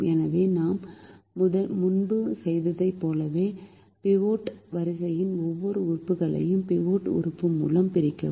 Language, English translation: Tamil, so, as we did previously, divide every element of the pivot row by the pivot element